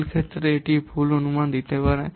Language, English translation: Bengali, For individual cases it may give inaccurate estimations